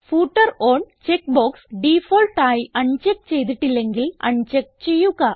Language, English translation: Malayalam, Uncheck the Footer on checkbox if it is not unchecked by default